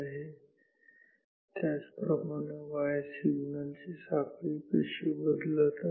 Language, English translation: Marathi, And, similarly how is the y signal chain moving or varying